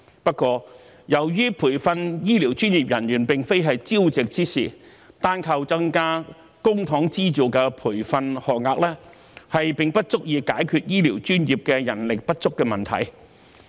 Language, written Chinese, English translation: Cantonese, 不過，由於培訓醫療專業人員並非朝夕之事，單靠增加公帑資助的培訓學額，並不足以解決醫療專業人手不足的問題。, However as it takes time to train healthcare professionals the manpower shortage of healthcare professionals cannot be addressed simply through increasing publicly - funded training places